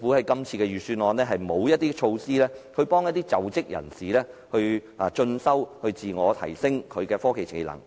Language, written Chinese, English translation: Cantonese, 今次預算案沒有任何措施幫助在職人士進修，自我提升科技技能。, This Budget has not proposed any measures to help working people pursue continuing education for self - enhancement of technological skills